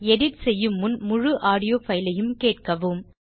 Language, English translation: Tamil, Before editing, always listen to the whole audio file